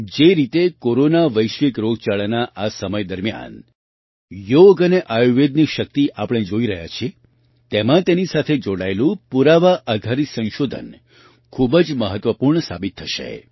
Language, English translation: Gujarati, The way we all are seeing the power of Yoga and Ayurveda in this time of the Corona global pandemic, evidencebased research related to these will prove to be very significant